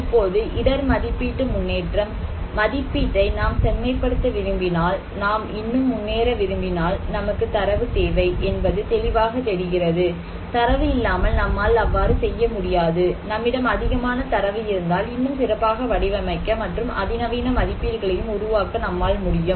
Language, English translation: Tamil, Now, risk estimation progress; if we want to progress more if you want to refine our estimation, one thing is very clear that we need data, without data we cannot do it so, more data where you have, the more fine tuned, more cutting edge estimations we can make